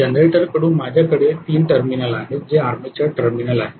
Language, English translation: Marathi, From the generator I have 3 terminals, which are the armature terminal